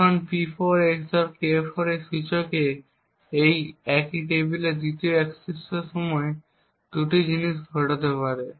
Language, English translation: Bengali, Now during the 2nd access to the same table at the index P4 XOR K4 there are 2 things that can occur